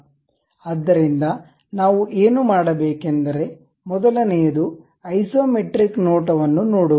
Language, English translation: Kannada, So, first thing what we will do is look at isometric view